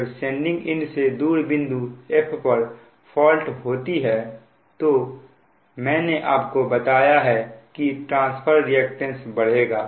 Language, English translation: Hindi, then when fault, look fault location and f away from the sending end, i told you that transfer reactance will increase